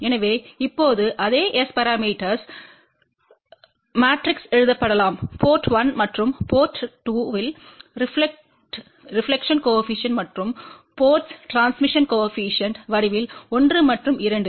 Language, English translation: Tamil, So, the same S parameter matrix now, can be written in the form of reflection coefficient at ports 1 and port 2 and transmission coefficients at port 1 and 2